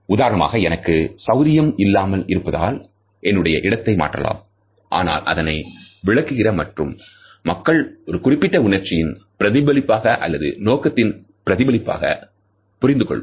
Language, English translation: Tamil, For example, I may be uncomfortable and I am shifting my position, but the other person may understand it as a reflection of an attitude or a certain emotion